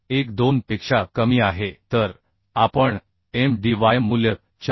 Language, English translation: Marathi, 12 so we should consider Mdy value as 4